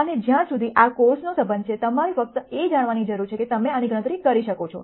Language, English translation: Gujarati, And as far as this course is concerned you just need to know that we can compute this